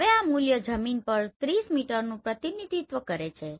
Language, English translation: Gujarati, Now this value represents 30 meter on the ground